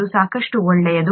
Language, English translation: Kannada, That is good enough